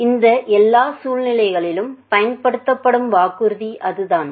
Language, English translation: Tamil, So, that is the promise that is used all these circumstances